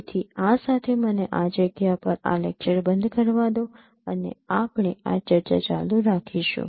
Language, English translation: Gujarati, So with this, let me stop this lecture at this point and we will continue this discussion